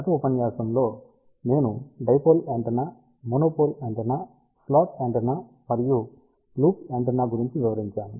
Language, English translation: Telugu, In the last lecture I have talked about dipole antenna, monopole antenna, slot antenna and loop antenna